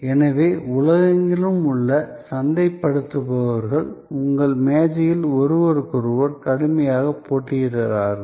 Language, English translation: Tamil, So, the marketers from across the world are at your desk, competing fiercely with each other